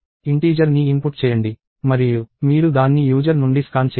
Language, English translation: Telugu, So, input an integer and you scan it from the user